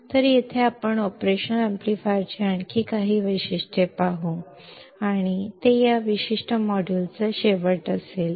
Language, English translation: Marathi, So, here let us see few more characteristics of operational amplifier and that will be the end of this particular module